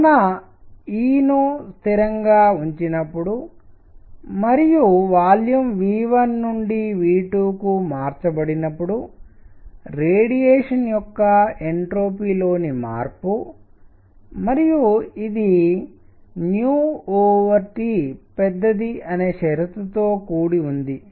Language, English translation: Telugu, So, this is the change in the entropy of radiation when E is kept constant and volume is changed from V 1 to V 2 and this is also under the condition that nu over T is large